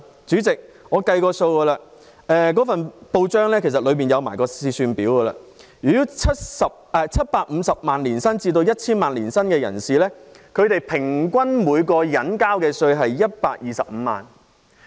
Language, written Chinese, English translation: Cantonese, 主席，我按照上述文章附有的試算表計算過，年薪750萬元至 1,000 萬元的人士，平均每人交稅125萬元。, Chairman I have done some calculations based on the excel table attached to the article . People with an annual income of 7.5 million to 10 million pay a tax of 1.25 million on average